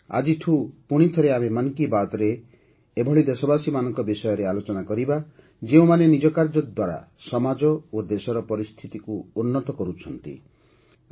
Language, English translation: Odia, From today, once again, in ‘Mann Ki Baat’, we will talk about those countrymen who are bringing change in the society; in the country, through their endeavour